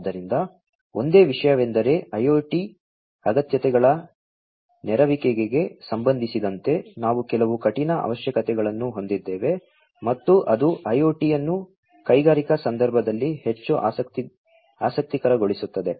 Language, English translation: Kannada, So, the only thing is that we have some stringent requirements with respect to the fulfilment of IoT requirements and that is what makes IIoT much more interesting in the industrial context